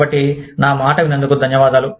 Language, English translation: Telugu, So, thank you, for listening to me